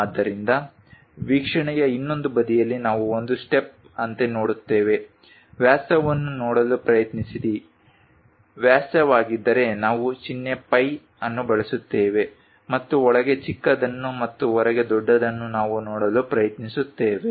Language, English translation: Kannada, So, that on the other side of the view we look at like a step one, try to look at diameters if it is diameter we use symbol phi, and smallest one inside and the largest one outside that is the way we try to look at